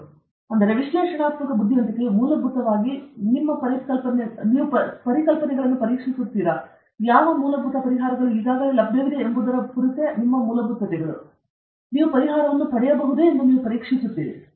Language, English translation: Kannada, So, this analytical intelligence is, basically, is we test your concepts, your fundamentals on problems for which solutions are already available; you are testing whether you can get the same solution